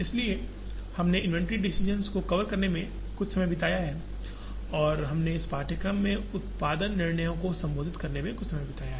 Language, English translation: Hindi, So, we have spent some time covering the inventory decisions and we have spent some time addressing the production decisions in this course